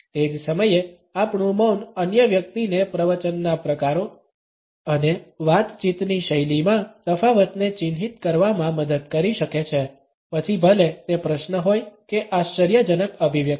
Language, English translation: Gujarati, At the same time our silence can help the other person mark the difference in discourse types and conversational styles, whether it is a question or a surprised expression